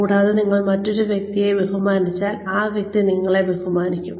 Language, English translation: Malayalam, And, respect the other person, and the other person, will respect you